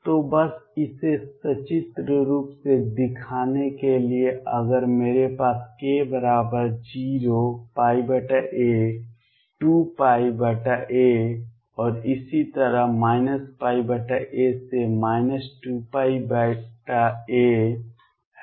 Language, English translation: Hindi, So, just to show it pictorially, if I have k equals 0 pi by a 2 pi by a and so on, minus pi by a minus 2 pi by a